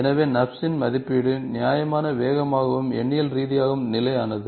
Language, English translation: Tamil, So, the evaluation of NURBS is reasonably faster and numerically stable